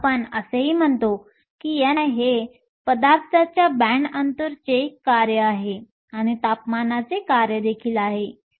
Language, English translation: Marathi, We also say that n i is a function of the band gap of the material E g and also a function of temperature